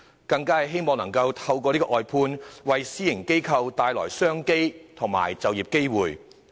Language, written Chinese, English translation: Cantonese, 政府更希望透過外判，為私營機構帶來商機和就業機會。, The Government also wishes to bring more business and employment opportunities to private organizations through outsourcing